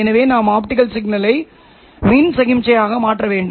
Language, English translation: Tamil, So I need to convert to convert optical to electrical signal